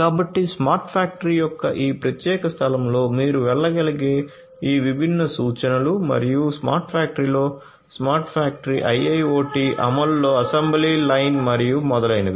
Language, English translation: Telugu, So, these are some of these different references that you could go through in this particular space of the smart factory and also the assembly line in the smart factory IIoT implementation in a smart factory and so on